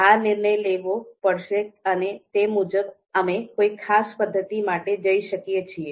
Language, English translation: Gujarati, So that decision has to be made and according to that we can go for a particular method